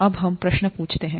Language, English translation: Hindi, Now let us ask the question